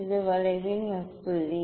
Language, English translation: Tamil, this is the point on the curve